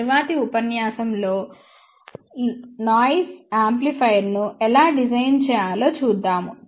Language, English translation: Telugu, In the next lecture, we will actually look into how to design low noise amplifier